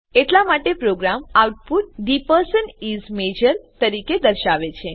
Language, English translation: Gujarati, Therefore the program display the output as The person is Major